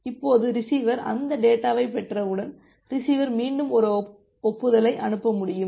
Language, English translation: Tamil, Now, once the receiver will receive that data, after receiving the data, the receiver can again send an acknowledgement